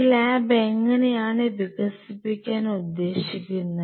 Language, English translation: Malayalam, How the lab will expand